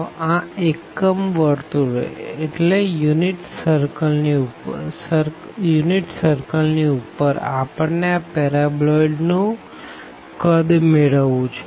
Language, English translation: Gujarati, So, above this unit circle, we want to get the volume of this paraboloid